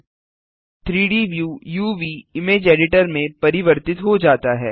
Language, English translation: Hindi, The 3D view has changed to the UV/Image editor